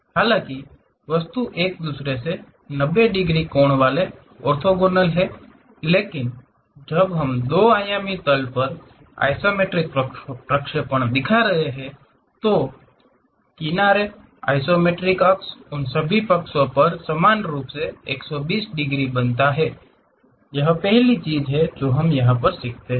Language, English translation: Hindi, Though the real object having 90 degrees angle orthogonal to each other; but when we are showing isometric projection on the two dimensional plane, the edges, the axis isometric axis those makes 120 degrees equally on all sides, this is the first thing what we learn